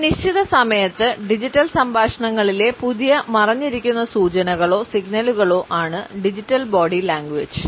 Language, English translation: Malayalam, At a certain time and digital body language are the new hidden cues in signals in our digital conversations